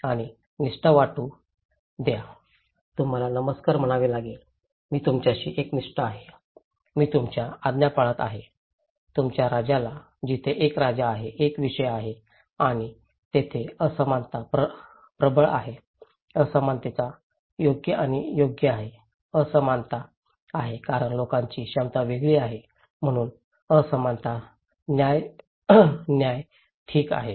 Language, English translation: Marathi, And feel loyalty, you have to say hello, I am loyal to you, I will follow your order okay, to your king; so there is a king, there is a subject and inequalities are prevailing there so, inequalities are fair and deserve, inequalities are there because people have different capacities, so that is why inequalities are justified okay